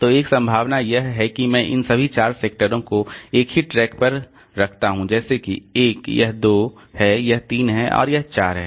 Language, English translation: Hindi, So, one possibility is that I put all these four sectors on the same track like this is say one, this is two, this is three and this is four